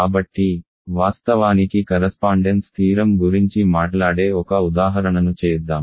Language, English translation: Telugu, So, actually let us just do one example which talks about correspondence theorem